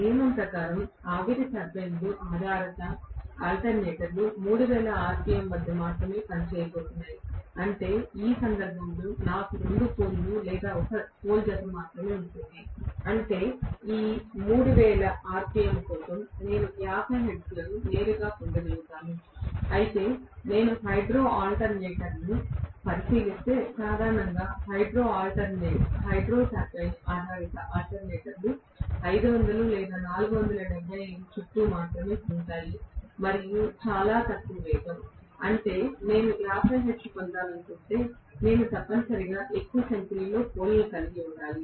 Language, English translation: Telugu, As a rule, the steam turbine based alternators are going to work at 3000 rpm, which means I will have only two poles in this case or one pole pair, only one pole pair I am going to have, which means for this 3000 rpm I will be able to get 50 hertz directly, whereas if I look at the hydro alternator, generally all the hydro turbine based alternators are going to rotate only around 500 or 475 and so on, very low speed, which means if I want to get 50 hertz I necessarily need to have more number of poles